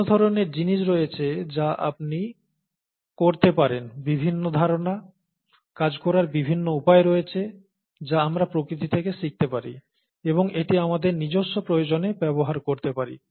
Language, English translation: Bengali, So there are various different things that you can, various different ideas, various different ways of doing things that we can learn from nature and use it for our own needs